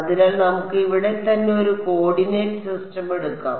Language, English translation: Malayalam, So, let us take a coordinate system over here right